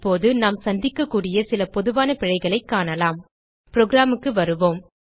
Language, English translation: Tamil, Now let us see some common errors which we can come accross